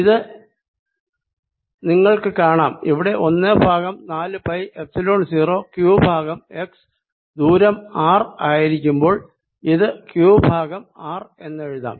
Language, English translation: Malayalam, and this, this you see right over, is one over four pi epsilon zero q over x, which for a distance r, i can write as q over r